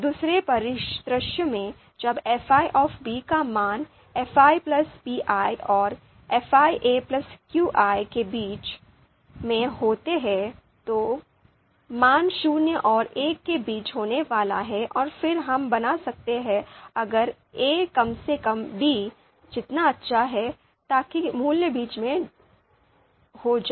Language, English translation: Hindi, In the second scenario when the value of fi b is lying between fi a plus qi and fi a plus pi, then the value is going to be zero and one and then you know know you know so we can make that you know if a is at least as good as you know so that so the value is going to be lie in between